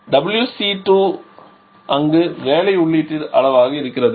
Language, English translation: Tamil, And we need to get WC to amount of work input there